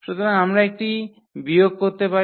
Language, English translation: Bengali, So, we can subtract it and then further